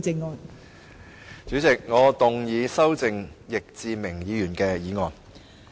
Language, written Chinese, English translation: Cantonese, 代理主席，我動議修正易志明議員的議案。, Deputy President I move that Mr Frankie YICKs motion be amended